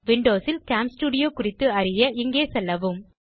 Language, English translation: Tamil, To know how to use camstudio on windows, please go here